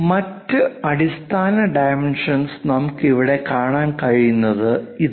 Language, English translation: Malayalam, And the other basic dimensions, what we can see is here this